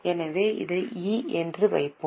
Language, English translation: Tamil, So, we will put it as E